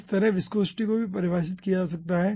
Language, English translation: Hindi, okay, similarly, viscosity can be also defined